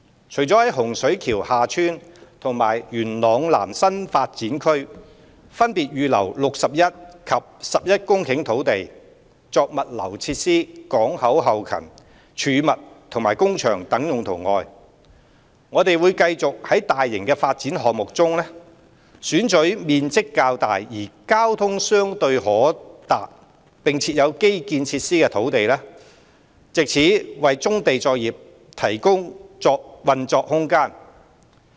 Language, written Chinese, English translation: Cantonese, 除在洪水橋/廈村及元朗南新發展區分別預留約61及11公頃土地，作物流設施、港口後勤、貯物及工場等用途外，我們會繼續從大型發展項目中，選取面積較大而交通相對可達並設有基建設施的土地，藉此為棕地作業提供運作空間。, In addition to the land respectively reserved in Hung Shui KiuHa Tsuen HSKHT and Yuen Long South YLS New Development Areas NDAs of 61 and 11 hectares for logistics facilities port back - up storage and workshops we will continue to identify large land parcels with good accessibility and infrastructure in major development projects to provide space for brownfield operations